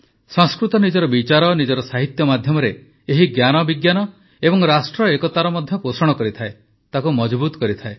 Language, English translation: Odia, Through its thoughts and medium of literary texts, Sanskrit helps nurture knowledge and also national unity, strengthens it